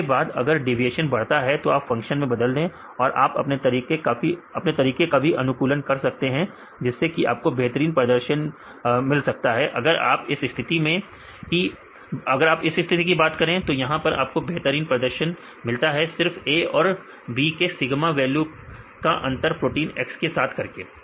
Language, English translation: Hindi, So, then a increases you change a error function and you can optimize your method show with the highest performance right you can do that, in this case you can get the method with the better performance then just using the a difference between the sigma A and sigma B with the protein X right then you can do that